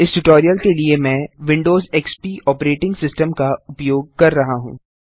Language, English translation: Hindi, For this tutorial, I am using Windows XP operating system